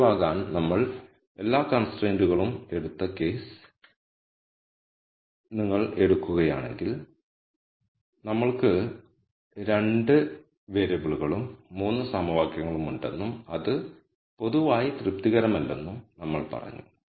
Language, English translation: Malayalam, So, if you take the case one where we took all the constraints to be active we said we have 2 variables and 3 equations and that is not satis able in general